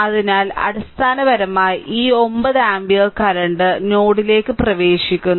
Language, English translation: Malayalam, So, basically if you apply this 9 ampere current is entering into the node